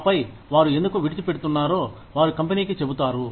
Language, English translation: Telugu, And then, they tell the company, why they are leaving